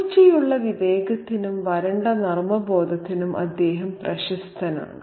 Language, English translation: Malayalam, He is known for his sharp wit and a dry sense of humor